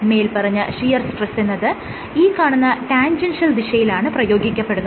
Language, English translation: Malayalam, So, shear stress is applied in a tangential direction